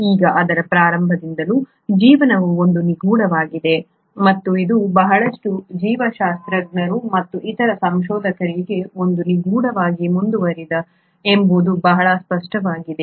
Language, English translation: Kannada, Now since its inception, it is very clear that life has been an enigma and it continues to be an enigma for a lot of biologists as well as other researchers